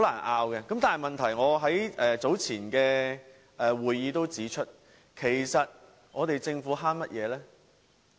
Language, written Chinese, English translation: Cantonese, 我在較早前的會議上也指出，其實政府在節省甚麼呢？, As I have pointed out in an earlier meeting what savings actually is the Government making? . The Government should spend when necessary